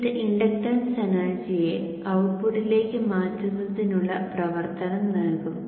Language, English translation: Malayalam, So this would give the action of transferring the inductance energy into the output